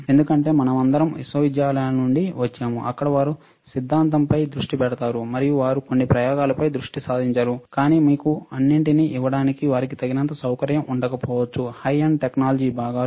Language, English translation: Telugu, Because we all come from universities, where they focus on theory, and they focused on certain set of experiments; but they may not have enough facility to give you all the components which are high end technology